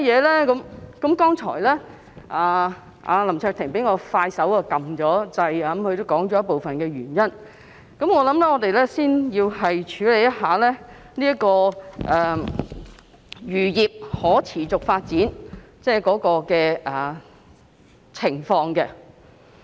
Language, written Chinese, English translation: Cantonese, 林卓廷議員比我更快按下"要求發言"按鈕，他剛才已說出部分原因，我想我們要先了解漁業可持續發展的情況。, What are the reasons? . Mr LAM Cheuk - ting who pressed the Request to speak button faster than I did already spelt out some of the reasons just now . I think we should first look into the sustainability of the fisheries industry